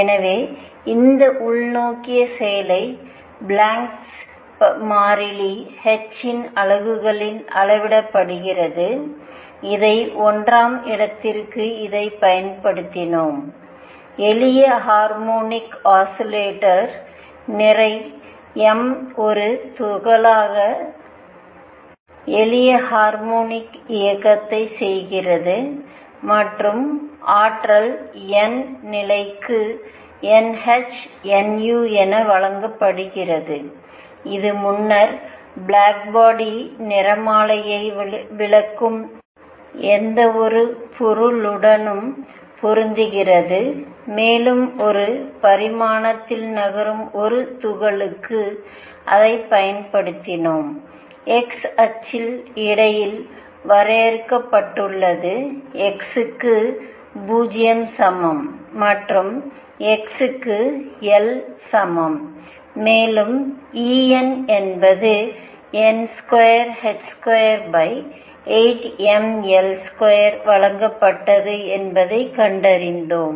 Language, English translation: Tamil, So, let me write this inwards action is quantized in units of Planck’s constant h and we applied this to applied this to number one, the simple harmonic oscillator that is a particle of mass m performing simple harmonic motion and we found that the energy n th level is given as n h nu which matched with whatever explain the black body spectrum earlier and we also applied it to a particle moving in one dimension say along the x axis confined between x equals 0 and x equals L and we found that E n was given as n square h square over it m L square